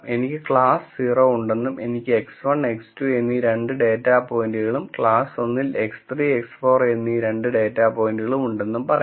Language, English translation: Malayalam, Let us say I have class 0, I have 2 data points X 1 and X 2 and class 1, I have 2 data points X 3 and X 4